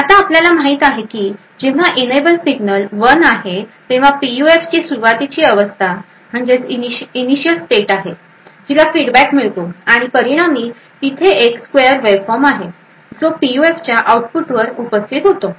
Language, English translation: Marathi, Now as we know, when the enable signal is 1, there is an initial state of the PUF which gets fed back and as a result there is a square waveform which gets present at the output of the PUF